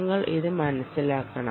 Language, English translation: Malayalam, you have to note this